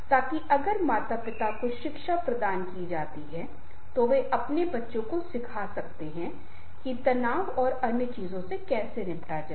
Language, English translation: Hindi, offer the parent education classes so that if the parents are provided education, they can teach to their child how to deal with the stress and other things